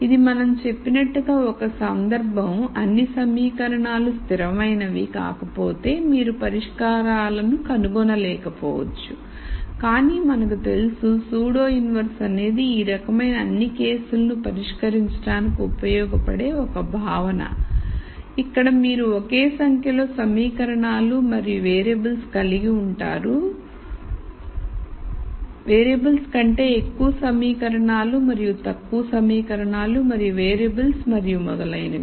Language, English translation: Telugu, So, this is a case where we said if all the equations are not consistent you might not be able to nd solutions, but we know pseudo inverse is a concept that can be used to solve all types of these cases where you have the same number of equations and variables more equations than variables and less equations and variables and so on